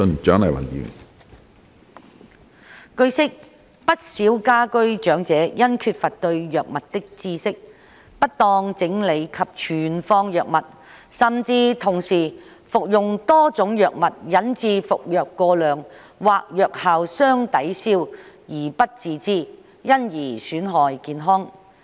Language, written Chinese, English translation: Cantonese, 據悉，不少居家長者因缺乏對藥物的知識，不當整理及存放藥物，甚至同時服用多種藥物引致服藥過量或藥效相抵銷而不自知，因而損害健康。, It is learnt that due to a lack of knowledge of medications quite a number of the elderly living at home organize and store medications improperly and even unknowingly take at the same time multiple medications that cause an overdose or cancel out each others effects thus harming their health